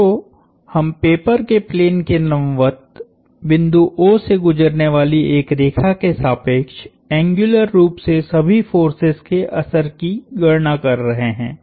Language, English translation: Hindi, So, we are computing the action of all the forces in an angular sense about a line passing through the point O perpendicular to the plane of the paper